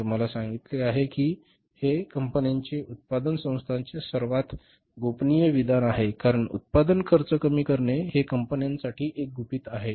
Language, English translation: Marathi, As I told you that this is the most confidential statement for the companies for the manufacturing organizations because cost reducing the cost of production is the secret for the companies